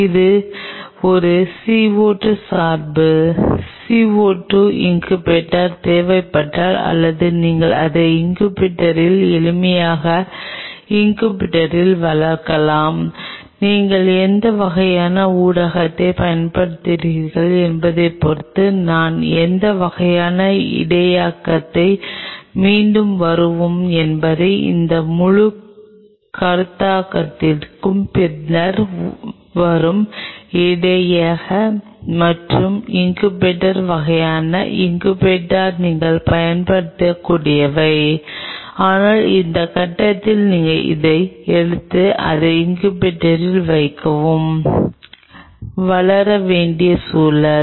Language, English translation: Tamil, If it is a CO 2 dependent CO 2 incubator is needed or you can also grow it in incubator simple here in incubator depending upon what kind of medium you are using I mean what kind of buffering we will come back come later into that whole concept of buffering and incubator kind of incubator what you can use, but at this point just accept the point you just take it and put it in the incubator and the environment to grow